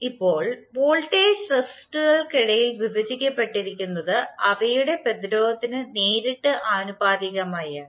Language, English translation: Malayalam, Now, the voltage is divided among the resistors is directly proportional to their resistances